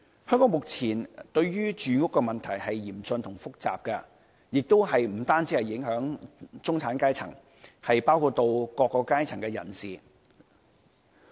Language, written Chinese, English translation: Cantonese, 香港目前面對的住屋問題是嚴峻和複雜的，不但影響中產階層，亦影響各個階層人士。, The housing problem in Hong Kong is acute and complicated it affects not only the middle class but also people from the other spectra